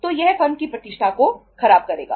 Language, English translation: Hindi, So it will spoil the reputation of the firm